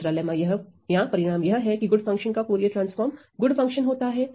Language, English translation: Hindi, Another lemma or result that is useful is, Fourier transform of good function is a good function right